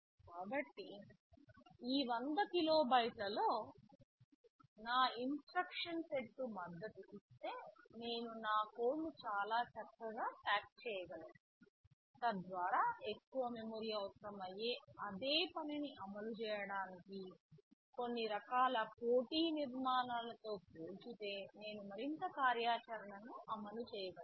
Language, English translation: Telugu, So, if my instruction set supports that in this 100 kilobytes, I can pack my code very nicely, so that I can implement more functionality greater functionality as compared with some kind of competing architecture where a much more memory would be required to implement the same thing